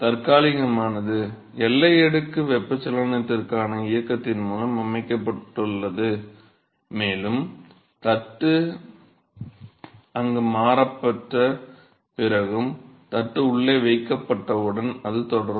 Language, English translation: Tamil, So, the transient itself is set of the motion for convection in the boundary layer and that will continue as soon as the plate is still placed inside after the plate is replaced there